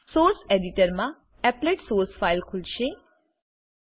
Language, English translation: Gujarati, The Applet source file opens in the source editor